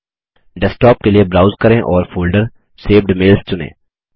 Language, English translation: Hindi, Browse for Desktop and select the folder Saved Mails.Click Save